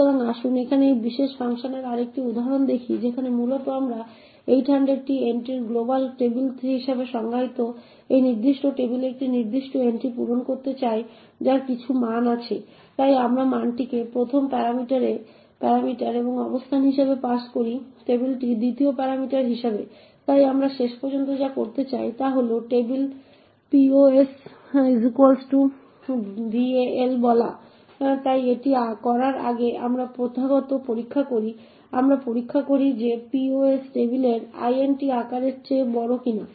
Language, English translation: Bengali, So let us look at another example of this particular function over here where essentially we want to fill one particular entry in this particular table defined as global table of 800 entries with some value, so we pass the value as the first parameter and the position in the table as the 2nd parameter, so what we want to do eventually is to say that table of pos equal to val, so before doing this we do the customary checks, we check that if pos is greater than size of table divided by size of int